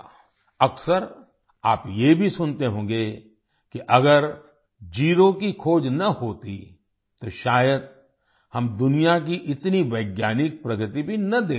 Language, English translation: Hindi, Often you will also hear that if zero was not discovered, then perhaps we would not have been able to see so much scientific progress in the world